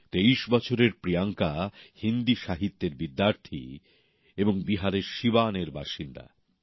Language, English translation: Bengali, 23 year old Beti Priyanka ji is a student of Hindi literature and resides at Siwan in Bihar